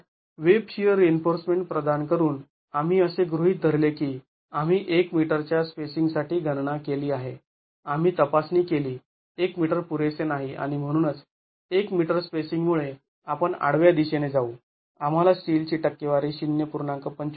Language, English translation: Marathi, So, providing web shear reinforcement, we assumed, we made the calculation for an assumed spacing of 1 meter, we checked that the 1 meter would not be adequate and therefore with the 1 meter spacing we get in the horizontal direction we get the percentage of steel as 0